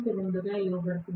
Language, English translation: Telugu, R1 is already given as 2